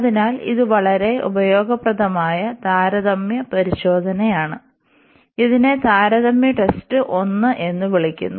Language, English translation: Malayalam, So, this is a very useful test comparison test it is called comparison test 1